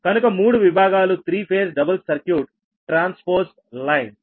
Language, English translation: Telugu, so three sections, sub three, your three phase double circuit transpose lines